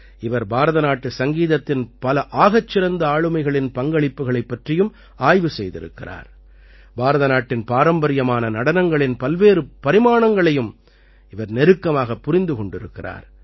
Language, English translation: Tamil, He has studied the contribution of many great personalities of Indian music; he has also closely understood the different aspects of classical dances of India